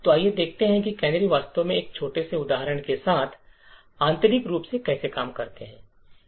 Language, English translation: Hindi, So, let us see how the canaries actually work internally with a small example